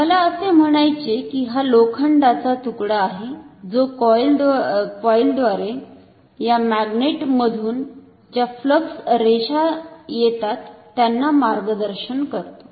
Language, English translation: Marathi, This is not the magnet, but this is only an iron of I mean it is a piece of iron which guides the fluxlines from this magnet through this coil